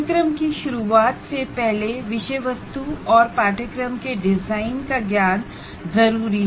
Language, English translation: Hindi, Prior to the beginning of the course, the knowledge of subject matter and design of the course matter